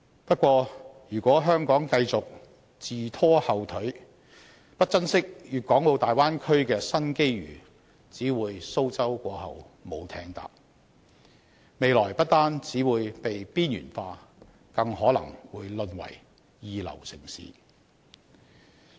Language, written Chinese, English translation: Cantonese, 不過，如果香港繼續自拖後腿、不珍惜大灣區的新機遇，只會"蘇州過後無艇搭"，未來不單會被邊緣化，更可能會淪為二流城市。, However if Hong Kong continues to impede its own progress and does not treasure the new opportunities brought by the Bay Area opportunity never knocks twice at any mans door . Hong Kong will not only be marginalized but also be turned into a second - rate city